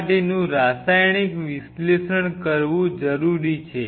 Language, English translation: Gujarati, It is always a good idea to do a surface chemical analysis